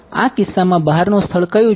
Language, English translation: Gujarati, In this case what is the outside region